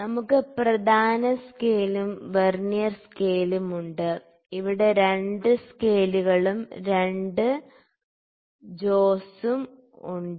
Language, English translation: Malayalam, So, we have the main scale and Vernier scale both the scales here and we have 2 jaws here